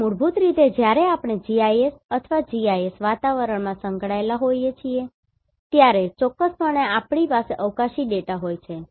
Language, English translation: Gujarati, So basically when we are involved with GIS or in GIS environment, then definitely we are having spatial data